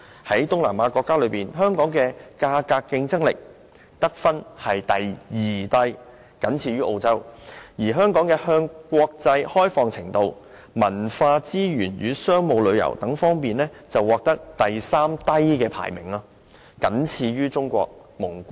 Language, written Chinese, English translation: Cantonese, 在東南亞國家中，香港在價格競爭力的得分是第二低，僅高於澳洲；香港在向國際開放程度和文化資源與商務旅遊方面，排名第三低，僅高於中國和蒙古。, Among the East Asian countries and regions Hong Kong received the second lowest score in terms of price competitiveness only higher than that of Australia . In terms of international openness and cultural resources and business travel Hong Kong ranked the third lowest being only higher than China and Mongolia